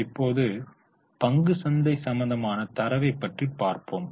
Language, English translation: Tamil, Now, let us look at the stock market data